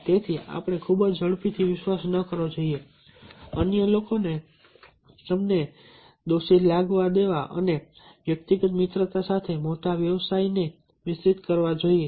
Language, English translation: Gujarati, so we should not trust too quickly, letting others make you feel guilty and mixing big business with personal friendship